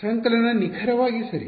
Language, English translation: Kannada, Summation exactly right